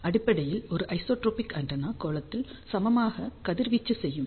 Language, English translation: Tamil, Basically an isotropic antenna will radiate equally in the sphere ok